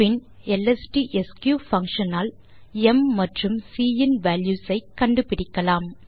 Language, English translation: Tamil, Then we will use the lstsq function to find the values of m and c